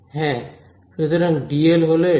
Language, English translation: Bengali, Yeah, so, dl is this